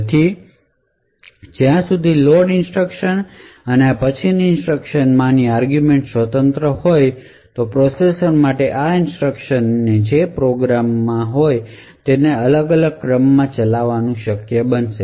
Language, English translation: Gujarati, So as long as the arguments in the load instructions and those of these subsequent instructions are independent it would be possible for the processor to actually execute these instructions in an order which is quite different from what is specified in the program